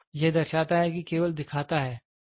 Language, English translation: Hindi, So, indicating is it only shows